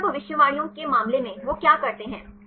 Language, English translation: Hindi, In the case of the meta predictions; what they do